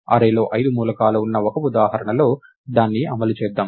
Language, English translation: Telugu, Let us run it on a single example, where there are five elements in the array